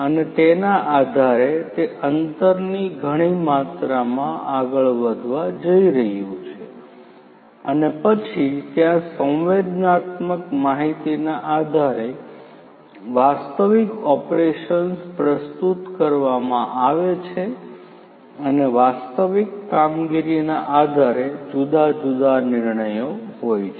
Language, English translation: Gujarati, And based on that it is going to move for that much that much amount of distance and then what happens is this sensing based on the sensed data the actual operations are preformed and based on the actual operations the decisions are different